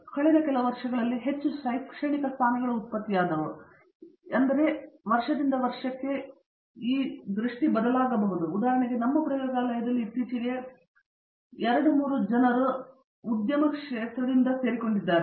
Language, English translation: Kannada, In the last few years, we have see that there have been more academic positions but again that might change, depending on in our lab for example recently 2, 3 people have joined industry again